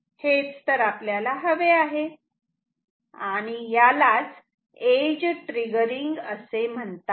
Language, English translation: Marathi, This is what we want and this is what we call as edge triggering ok